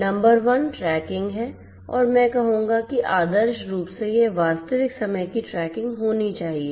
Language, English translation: Hindi, Number 1 is tracking and I would say ideally it should be real time tracking